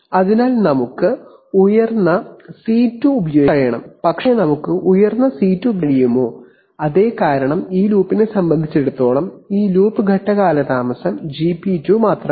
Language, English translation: Malayalam, So we should be able to use a high C2 but can we use a high C2, yes we can because as far as this loop is concerned, this loop phase lag is only GP2